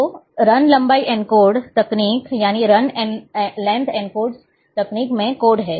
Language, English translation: Hindi, So, Run Length Encodes or codes are there